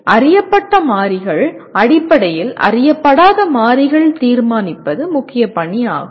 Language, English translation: Tamil, So the major task is to determine the unknown variables in terms of known variables